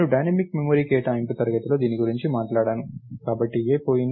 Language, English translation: Telugu, So, I talked about this in the dynamic memory allocation class, so, A is gone